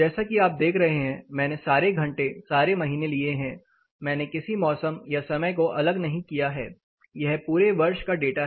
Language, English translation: Hindi, As you see I have taken hourly all hours, all months I have not you know demarcated any season or time of operation it is all our the whole year data is right here